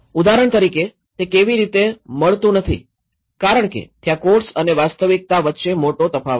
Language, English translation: Gujarati, Like for example, how does it does not meet with there is a big difference between the codes and the reality